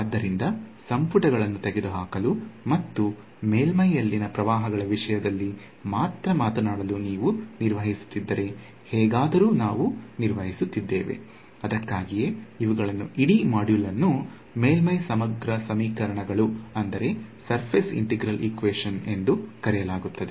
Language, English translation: Kannada, So, somehow what we have manage to do if you have manage to remove the volumes and talk only in terms of currents on the surface; that is why these what that is why the whole module is called surface integral equations